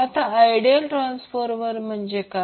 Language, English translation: Marathi, Now what is ideal transformer